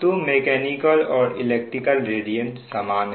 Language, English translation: Hindi, so mechanical, electrical and radiant it is same